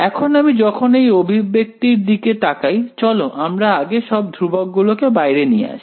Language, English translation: Bengali, Now when I look at this expression let us just gather all the constants outside